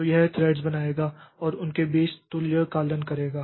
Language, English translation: Hindi, So, it will create threads and do synchronization between them